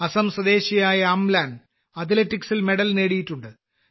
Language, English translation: Malayalam, Amlan, a resident of Assam, has won a medal in Athletics